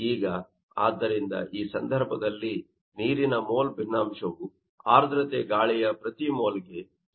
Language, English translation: Kannada, Now, hence, in this case, the mole fraction of water will be equal to 0